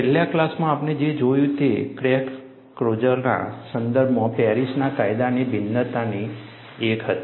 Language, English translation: Gujarati, In the last class, what we saw was, one of the variations of Paris law, in the context of crack closure